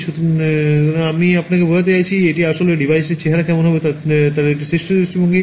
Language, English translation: Bengali, So, I mean what I am showing you is actually a top view of what the device will look like